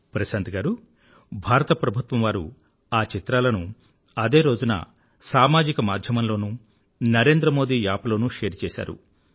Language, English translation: Telugu, Prashant ji, the Government of India has already done that on social media and the Narendra Modi App, beginning that very day